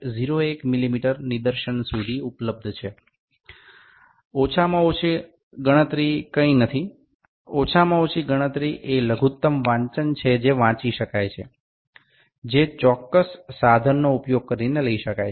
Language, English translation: Gujarati, 01 mm of a least count is available, least count is nothing least count is a minimum reading that can be read that can be taken using the specific instrument